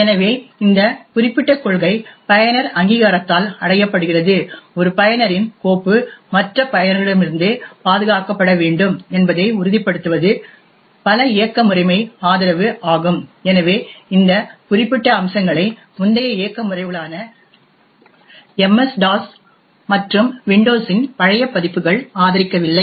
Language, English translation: Tamil, So this particular policy is achieved by user authentication, another aspect which many operating system support is to ensure that one users file should be protected from the other users, so the prior operating systems such as MS DOS and older versions of Windows do not support these particular features